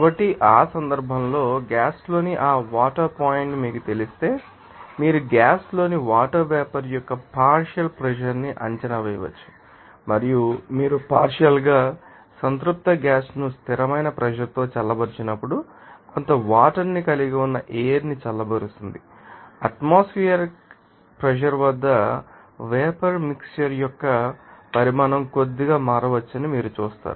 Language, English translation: Telugu, So, in that case if you know that dew point of that water in a gas you know, you can estimate that partial pressure of the water vapor in a gas and also when you partially saturated gas is cooled at constant pressure as in the cooling of air containing some water vapor at atmospheric pressure, you will see that the volume of the mixture may change slightly